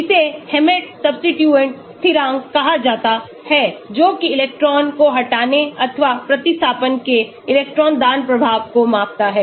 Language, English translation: Hindi, it is called the Hammett substituent constant, that is the measure of electron withdrawing or electron donating influence of substituents